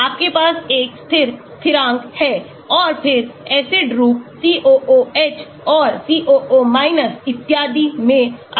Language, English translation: Hindi, you have a dissociate constant and then dissociate into the acid form COOH and COO and so on